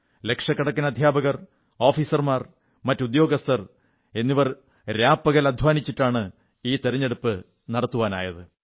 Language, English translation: Malayalam, Lakhs of teachers, officers & staff strived day & night to make it possible